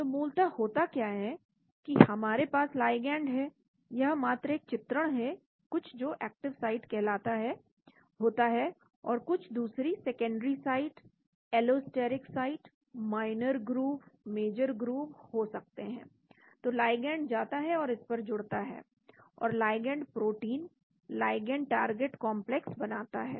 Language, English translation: Hindi, So basically what happens we have the ligand this is just a pictorial, there is something called an active site or there would be some other secondary site, allosteric site, minor grooves, major grooves, so the ligand goes and binds to that and forms ligand protein, ligand target complex